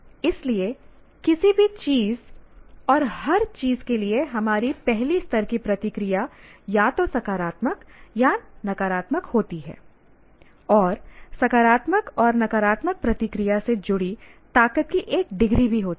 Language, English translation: Hindi, So for anything and everything, our first level reaction is positive or negative or and also there is a degree of strength associated with positive and negative reaction